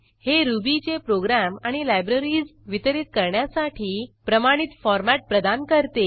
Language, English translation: Marathi, It provides a standard format for distributing Ruby programs and libraries